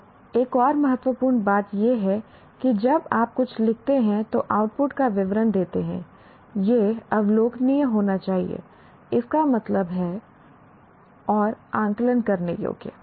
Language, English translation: Hindi, And another important one is when you write some outcome statement, it should be observable, that means and accessible